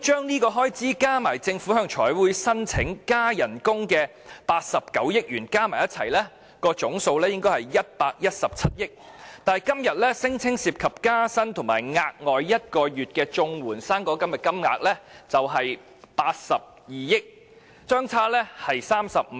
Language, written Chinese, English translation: Cantonese, 若把此項開支加上政府向財委會申請增加薪酬的89億元，總數應該是117億元，但追加撥款聲稱涉及公務員加薪及綜援和"生果金 "1 個月額外援助金的金額卻是82億元，相差35億元。, The total amount of this expenditure in addition to the 8.9 billion that the Government sought the Finance Committees approval for pay adjustment purpose should be 11.7 billion . However the amount incurred for civil service pay adjustment and provision of one additional month of payment to CSSA and fruit grant recipients as stated in the supplementary appropriation was 8.9 billion hence a difference of 3.5 billion